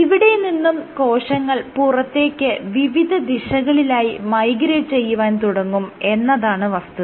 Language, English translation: Malayalam, So, what will happen is the cells will then migrate in all directions, they will migrate outward